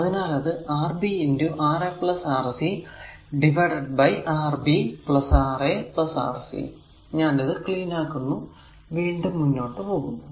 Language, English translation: Malayalam, So, it will be Rb into Ra plus Rc divided by Rb plus Ra plus Rc; so, cleaning it and going to that right